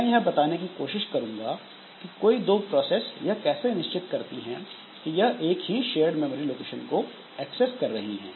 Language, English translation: Hindi, So, I will try to explain like how two processes they can make sure that they are accessing the same memory location, same shared memory location